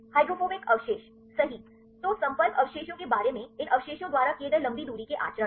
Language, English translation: Hindi, Hydrophobic residues right then about the contacts long range conducts made by these residues right